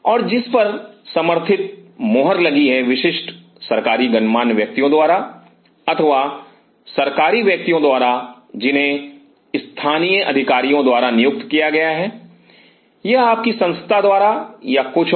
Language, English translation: Hindi, And which is further stamped an endorsed by specific government dignitaries or government individuals who have been appointed by the local authorities or by your institute or something